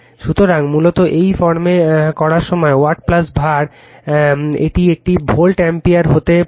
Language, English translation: Bengali, So, basically when doing right in this form, watt plus your var this can be an volt ampere